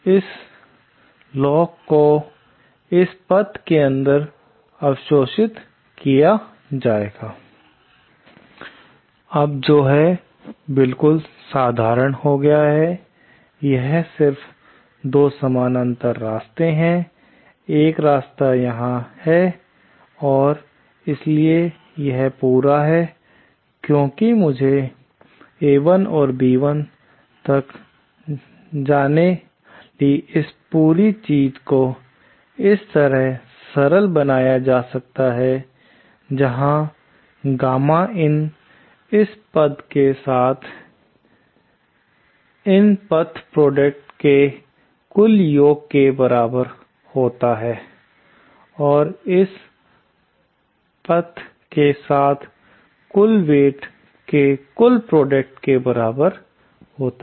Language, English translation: Hindi, This loop will be absorbed inside this path with a weightage of, Now I have, now this becomes a simple thing, this is just 2 parallel paths, one path is here and so this whole, since I have to go from A1 to B1, this whole thing can be simplified to this where gamma in is just the addition of the total path product along this path, along this path and the total product of the total weight along this path